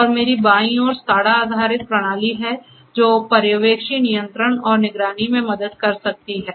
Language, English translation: Hindi, And on my left is the SCADA based system that can help in the supervisory control and monitoring